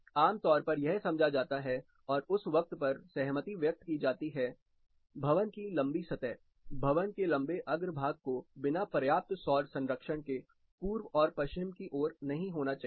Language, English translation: Hindi, Typically it is understood and agreed upon that, your longer surface of the building, longer facades of the building should not be facing east and west without enough solar protection